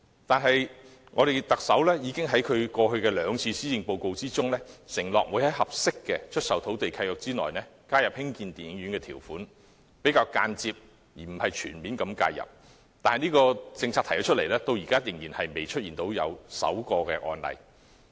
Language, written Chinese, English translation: Cantonese, 但是，特首在其過去兩份施政報告中承諾，會在合適的出售土地契約內加入興建電影院的條款，以較間接而非全面的方式介入；但這項政策提出後，至今仍未出現首宗案例。, However the Chief Executive has pledged in his last two policy addresses to include a clause on cinema construction in the land sale lease where appropriate as a means of a more indirect yet less comprehensive intervention . However after this initiative has been proposed no precedent has been established so far